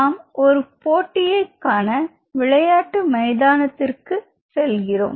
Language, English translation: Tamil, So, say for example, you are going to a stadium to see a match or something